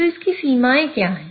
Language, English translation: Hindi, So what are the limitations of this